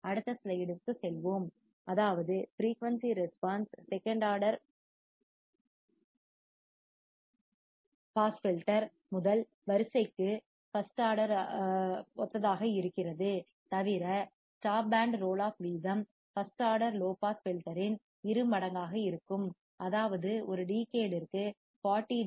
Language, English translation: Tamil, Let us go to the next slide that is that the frequency response second order pass filter is identical to that of first order except that the stop band roll off rate will be twice of the first order low pass filter, which is 40 dB per decade